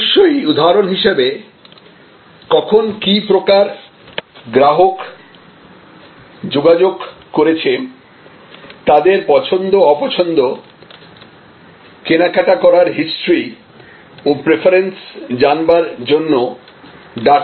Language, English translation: Bengali, So, of course, without for example, data collection to know when the customer has contacted, what kind of customers contacted us, what they like, what they did not like, the history of purchase, the preferences